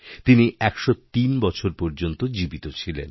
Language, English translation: Bengali, He lived till 103 years